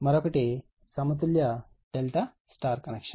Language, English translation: Telugu, Another one is balanced delta Y connection